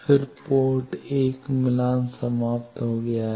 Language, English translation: Hindi, Then port 1 is match terminated